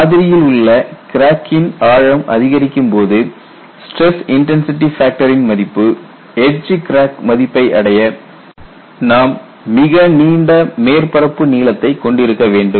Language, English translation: Tamil, When the depth of the crack in the specimen increases for the stress intensity factor at this point to reach the edge crack value, you need to have a very long surface length